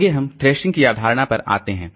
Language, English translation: Hindi, Next we come to the concept of thrashing